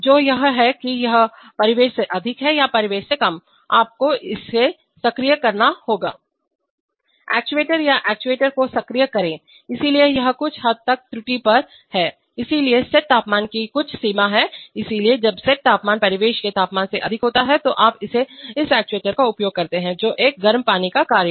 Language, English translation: Hindi, Which is whether it is greater than ambient or less than ambient, you have to either activate this actuator or activate this actuator, so this is so, on some range of error, so some range of the set temperature, so when the set temperature is greater than the ambient temperature in that range you use this actuator that is a hot water actuator